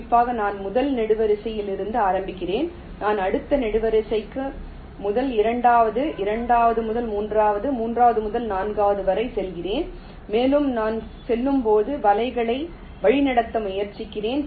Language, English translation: Tamil, i look at the problem incrementally, specifically, i start from the first column, i go on moving to successive column, first to second, second to third, third to fourth, and i incrementally try to route the nets as i move along greedy means